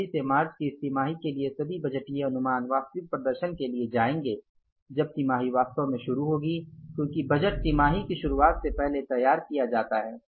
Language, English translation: Hindi, Following this, say budgeted, these budgeted estimates, they will go for the actual performance when the quarter will actually start because budget is prepared before the beginning of the quarter